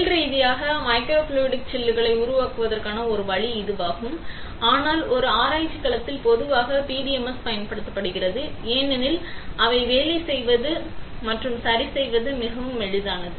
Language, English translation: Tamil, That is one way of industrially making microfluidic chips but in a research domain usually PDMS is used because they are really easy to work with and fabricate ok